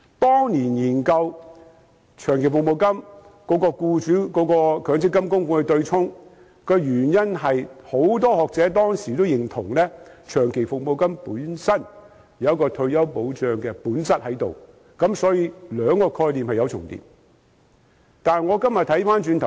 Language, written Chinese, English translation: Cantonese, 當年研究長期服務金與強積金僱主供款部分對沖的原因，是當時很多學者均認同長期服務金本身具有退休保障的本質，所以兩個概念是有重疊的。, The offsetting of long service payments against employers MPF contributions was mooted back then because many scholars at the time shared the view that retirement protection was intrinsic to the nature of long service payments and so there was an overlap between the two concepts